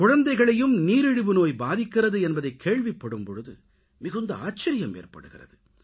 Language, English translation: Tamil, It is indeed surprising today, when we hear that children are suffering from diabetes